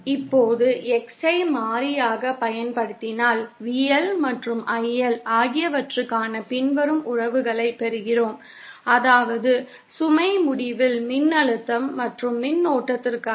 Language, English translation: Tamil, Now, if we continue using X as the variable, then we get the following relations for VL and IL, that is for voltage and current at the load end